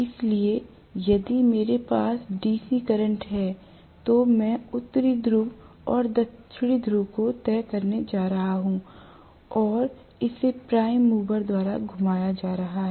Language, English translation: Hindi, So, if I have DC current I am going to have fixed North Pole and South Pole created and I am going to have that being rotated by the prime mover